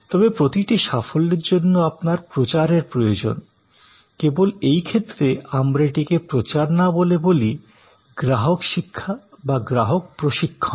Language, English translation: Bengali, But, for each success, you need promotion, only in this case, we do not call it promotion, we call it customer education, customer training